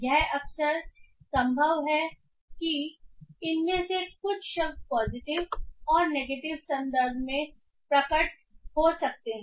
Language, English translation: Hindi, It is often possible that some of these words can appear in positive and negative context